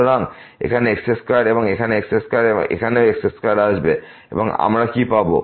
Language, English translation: Bengali, So, here square here square and here also square will come and what we will get